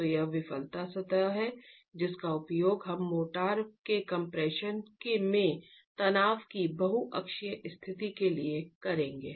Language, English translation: Hindi, So this is the failure surface that we would use for the multi axial state of stress in compression of the motor